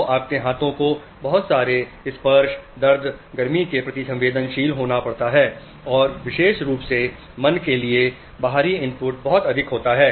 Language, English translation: Hindi, So your hands have to be sensitive to a lot of touch, pain, heat, plus lot of external input, especially for the mind, goes through your face